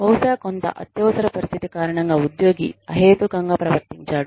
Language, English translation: Telugu, Maybe, because of some emergency, the employee behaved irrationally